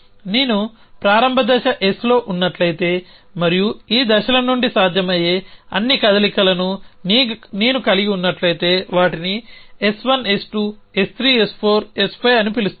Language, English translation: Telugu, I mean that if I am in a start stage S and I have all these possible moves from these stages that is call them S 1 S 2 S 3 S 4 S 5